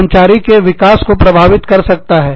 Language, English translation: Hindi, It can affect, employee development